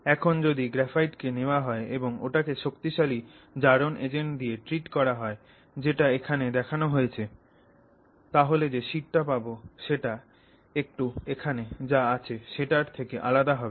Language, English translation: Bengali, Now if you take graphite and you treat it with strong oxidizing agents, which is what I have indicated here, then the sheet that you get is different